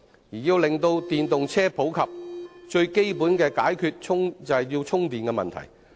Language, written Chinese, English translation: Cantonese, 要令電動車更普及，便要解決最基本的充電問題。, To promote the use of these vehicles we must solve the basic problem of charging